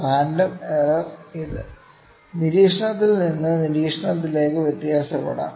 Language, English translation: Malayalam, Random error, it may vary from observation to observation full